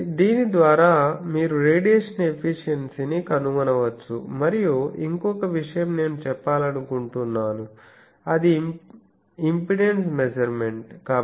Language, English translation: Telugu, So, by this you can find the radiation efficiency and there is one more thing that I want to say that is the impedance measurement